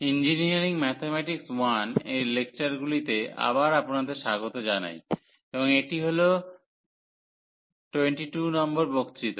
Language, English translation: Bengali, So, welcome back to the lectures on the Engineering Mathematics 1, and this is lecture number 22